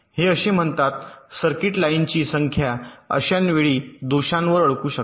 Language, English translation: Marathi, this says that any number of circuits, lines, can have such stuck at faults at a time